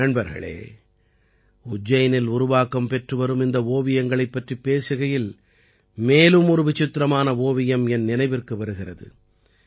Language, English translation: Tamil, Friends, while referring to these paintings being made in Ujjain, I am reminded of another unique painting